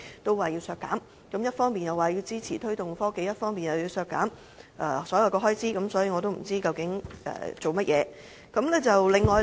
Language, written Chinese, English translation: Cantonese, 他們一方面說支持推動創新科技，另一方面又削減所有預算開支，我也不知道他們所為何事。, While expressing support for the promotion of innovation and technology they nonetheless propose to cut all the estimated expenditure . I fail to see their point